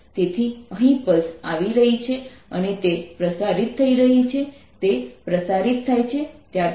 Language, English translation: Gujarati, so here is the pulse coming and it is getting transmitted after sometime